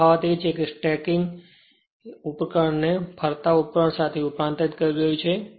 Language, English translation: Gujarati, The difference is transforming the static device it is a will be a rotating device